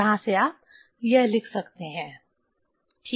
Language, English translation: Hindi, From here you can write this ok